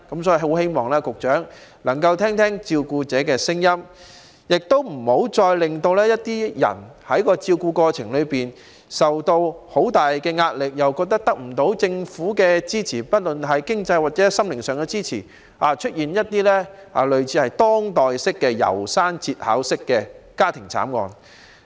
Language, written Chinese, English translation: Cantonese, 所以，希望局長能夠聆聽照顧者的聲音，不要再令照顧者在照顧過程裏受到很大壓力，覺得得不到政府經濟或心靈上的支持，以致出現類似當代"楢山節考式"的家庭慘案。, I thus hope that the Secretary can listen to the voices of the carers and not to subject them to immense pressure when taking care of those concerned . The failure of carers to receive financial or spiritual support from the Government may lead to family tragedies in modern times similar to those depicted in The Ballad of Narayama